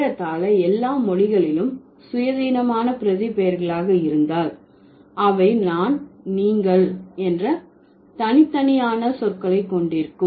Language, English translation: Tamil, Almost all the languages, if they have independent pronouns, they would have separate words for I, you and other